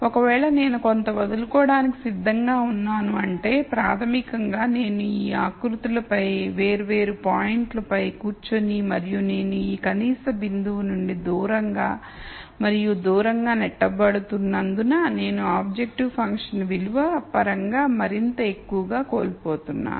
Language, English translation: Telugu, So, if I am willing to give up something that basically means I am going and sitting on different points on this contours and as I am pushed away and away from this minimum point I am losing more and more in terms of the objective function value